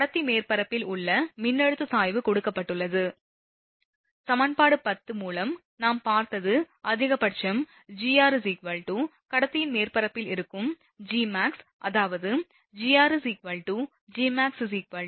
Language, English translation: Tamil, The voltage gradient at the conductor surface is given, by from equation 10 only we have seen that is that maximum Gr is equal to Gmax that is at the surface of the conductor, that is q upon 2 pi epsilon 0 r